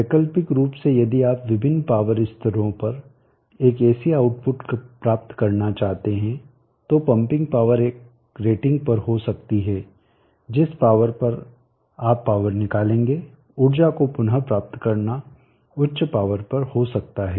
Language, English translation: Hindi, Alternately if you would like to get an AC output at different power levels, so the pumping power could be at one rating, the power at which you will take out the power, retrieve the energy can be at higher power